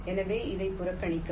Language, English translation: Tamil, so ignore this